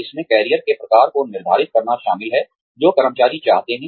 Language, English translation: Hindi, It involves, determining the type of career, that employees want